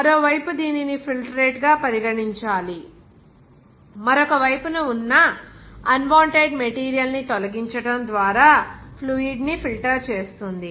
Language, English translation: Telugu, Whereas on the other side, it should be regarded as filtrate, which is purified fluid just by removing unwanted material to the other side